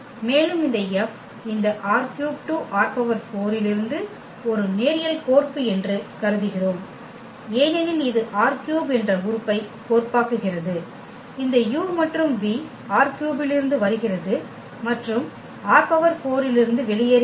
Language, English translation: Tamil, And we assume that this F is a linear map from this R 3 to R 4 because it maps this element R 3, this u and v are from R 3 and the output is in R 4